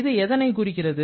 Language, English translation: Tamil, What does it indicate